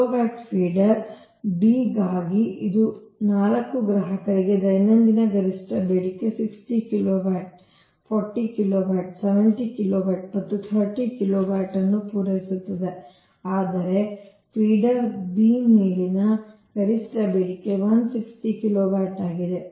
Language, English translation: Kannada, similarly for feeder b, it supplies four consumers whose daily maximum demand are sixty kilowatt, forty kilowatt, seventy kilowatt and thirty kilowatt right, while maximum demand on feeder b is one sixty kilowatt right